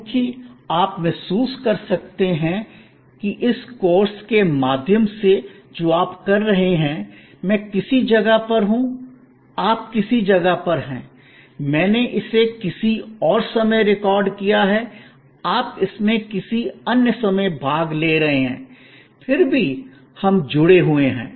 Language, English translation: Hindi, Because, you can realize that, through this very course that you are doing, I am at some place, you are at some place, I have recorded it in some point of time, you are participating it in some other point of time, yet we are connected